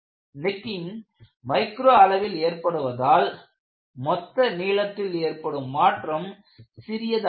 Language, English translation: Tamil, The necking takes place at a micro scale, and the resulting total elongation is small